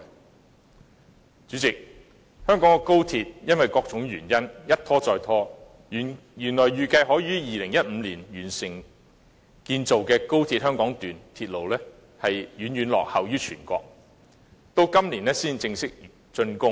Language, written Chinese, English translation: Cantonese, 代理主席，香港的高鐵因為各種原因一再拖延，原來預計可於2015年完成建造的香港段鐵路遠遠落後於全國，到今年才正式竣工。, Deputy President XRL in Hong Kong has been delayed time and again for various reasons . The Hong Kong Section of XRL originally expected to be completed in 2015 has been lagging far behind the high - speed rail projects in the whole country and it will only be officially completed this year